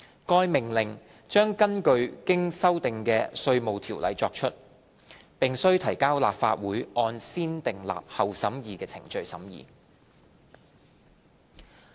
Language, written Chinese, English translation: Cantonese, 該命令將根據經修訂的《稅務條例》作出，並須提交立法會按先訂立後審議的程序審議。, The order will be made under the amended IRO and subject to the scrutiny of the Legislative Council by negative vetting